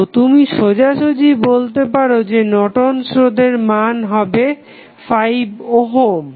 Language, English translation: Bengali, So, you can straight away say that the Norton's resistance would be 5 ohm